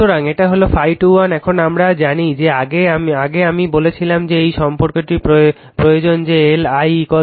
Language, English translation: Bengali, So, this is your what you call phi 2 1 now, we know that earlier I told you know this relation is required that L I is equal to N phi